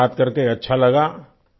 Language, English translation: Hindi, It was nice talking to you